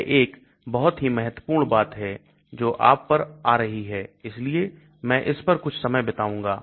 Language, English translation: Hindi, This is a very important thing which you will be coming across so I will spend some time on this